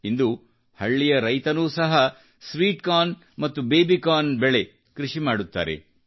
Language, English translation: Kannada, Today farmers in the village cultivate sweet corn and baby corn